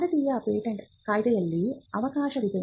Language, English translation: Kannada, There is a provision in the Indian Patents Act